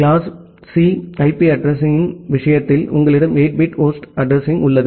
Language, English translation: Tamil, In case of class C IP address, you have 8 bit of host address